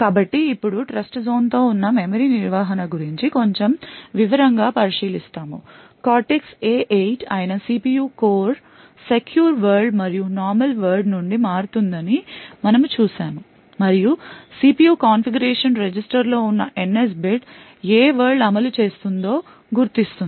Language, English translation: Telugu, Now so we look at a little more detail about the memory management present with Trustzone as we have seen that the CPU core that is a Cortex A8 will be switching from the secure world and the normal world and the NS bit present in the CPU configuration register would identify which world is executed